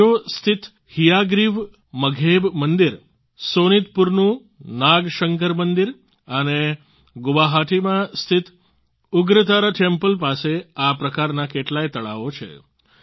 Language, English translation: Gujarati, The Hayagriva Madheb Temple at Hajo, the Nagashankar Temple at Sonitpur and the Ugratara Temple at Guwahati have many such ponds nearby